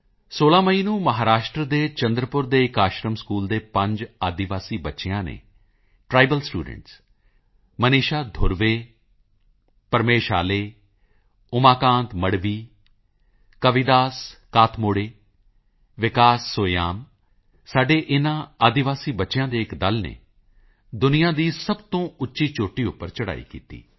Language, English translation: Punjabi, On the 16th of May, a team comprising five tribal students of an Ashram School in Chandrapur, Maharashtra Maneesha Dhurve, Pramesh Ale, Umakant Madhavi, Kavidas Katmode and Vikas Soyam scaled the world's highest peak